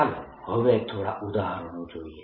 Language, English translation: Gujarati, let us now take examples